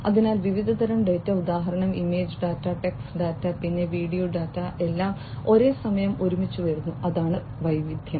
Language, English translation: Malayalam, So, variety of data for example, image data, text data, then video data, all coming together at the same time, that is variety